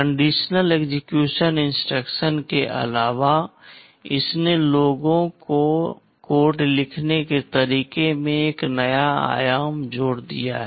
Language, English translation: Hindi, The addition of conditional execution instructions, this has added a new dimension to the way people can write codes